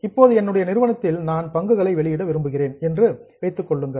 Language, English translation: Tamil, So, suppose I am a company, I want to issue shares